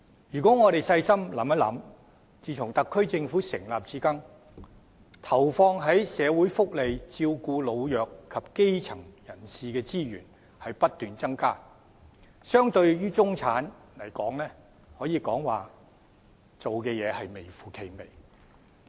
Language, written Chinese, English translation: Cantonese, 大家細心想想，自特區政府成立至今，投放在社會福利，照顧老弱及基層人士的資源不斷增加，但相對於中產，政府所做的可以說是微乎其微。, Let us think about this carefully Since the establishment of the SAR Government the resources injected into social welfare and caring of the elderly the disadvantaged and the grass roots have continuously increased but in comparison what the Government has done for the middle class can be said as grossly insignificant